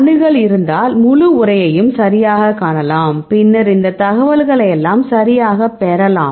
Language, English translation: Tamil, And if you have access then you can see the full text right, then you can get all this information right fine right